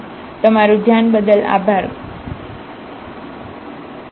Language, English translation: Gujarati, So, thank you very much for your attention